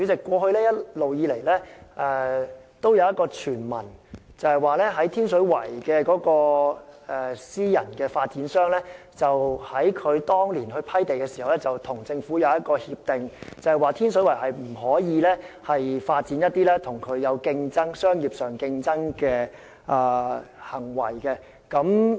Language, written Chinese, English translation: Cantonese, 主席，一直以來也有一個傳聞，指天水圍的私人發展商當年獲批地時與政府有一項協定，訂明天水圍不可發展與其在商業上有競爭的行為。, President according to hearsay private real estate developers of properties in Tin Shui Wai had got the agreement of the Government at the time the sites were granted that competitive activities of a commercial nature should not be developed in Tin Shui Wai